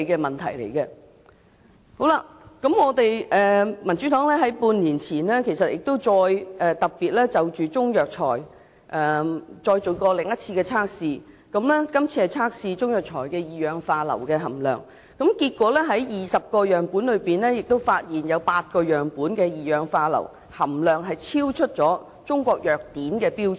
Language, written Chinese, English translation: Cantonese, 民主黨在半年前亦特別就中藥材再進行另一項測試，以測試中藥材中二氧化硫的含量，結果在20個樣本中發現8個樣本的二氧化硫含量超出《中國藥典》的標準。, Six months ago the Democratic Party specifically conducted another test on Chinese herbal medicines with the purpose of finding out the sulphur dioxide content in Chinese herbal medicines . Findings showed that in 8 of the 20 samples tested the sulphur dioxide content exceeded the limit in the Chinese Pharmacopoeia